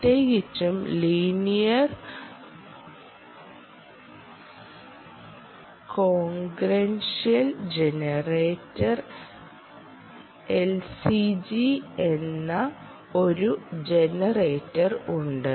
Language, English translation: Malayalam, particularly, there is a generator called linear congruential generator, l c g